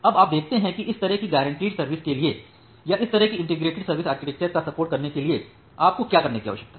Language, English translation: Hindi, Now, you see that for this kind of guaranteed service to or to support this kind of integrated service architecture, what you need to do